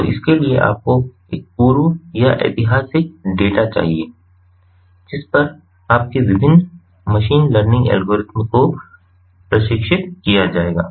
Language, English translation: Hindi, so for that you need a prior or historical data on which your various machine learning algorithms will be trained